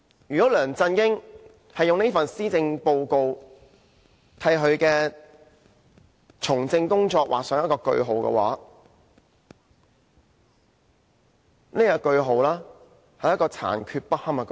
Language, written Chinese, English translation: Cantonese, 如果梁振英以這份施政報告為他從政的工作劃上句號的話，這是一個殘缺不堪的句號。, If LEUNG Chun - ying uses this Policy Address to put a full stop to his engagement in politics this full stop is incomplete